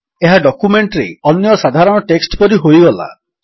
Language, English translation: Odia, It is just like any normal text in the document